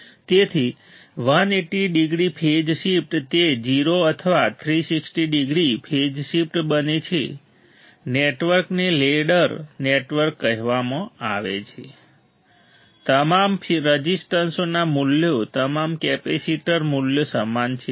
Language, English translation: Gujarati, So, 180 degree phase shift it becomes 0 or 360 degree phase shift right the network is also called a ladder network all the resistance value all the capacitor values are same